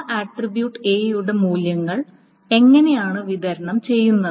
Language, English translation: Malayalam, So how are the values for that attribute A are distributed